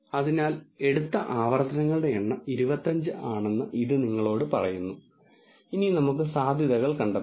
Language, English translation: Malayalam, So, it tells you that the number of iterations that it has taken is 25